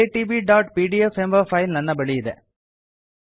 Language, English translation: Kannada, I have a file called iitb.pdf